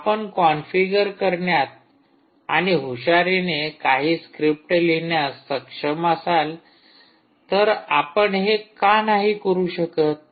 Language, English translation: Marathi, ok, if you are able to configure and cleverly write some scripts, why not